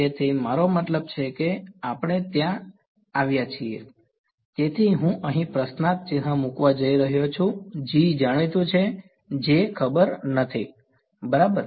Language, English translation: Gujarati, So, I mean we have come to that; so, I am going to put a question mark over here G is known J is not known ok